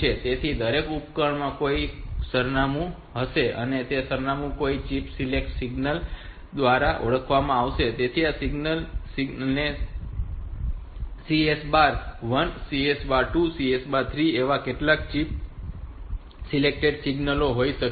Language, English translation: Gujarati, So, each device will have some address and that address is identified by something like some sort of say chip select signal, so this chip select signals will becoming so CS bar 1, CS bar 2, CS bar 3 some chip select signals can be there